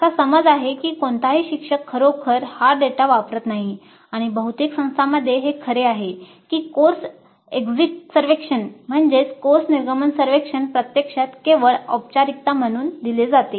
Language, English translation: Marathi, The perception is that no instructor really uses this data and probably it is true in many institutes that the course exit survey is actually administered as a mere formality